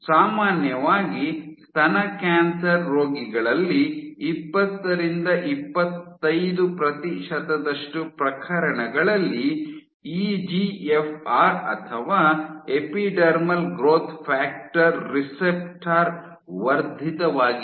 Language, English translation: Kannada, So, what they did was, so in generally in breast cancer patients in 20 to 25 percent of these cases you have EGFR or epidermal growth factor receptor is amplified